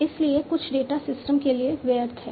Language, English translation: Hindi, So, some data are irrelevant for systems